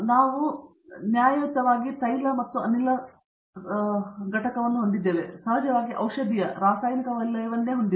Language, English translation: Kannada, We have fair bit of, there is oil and gas of course, pharmaceutical, chemical sector itself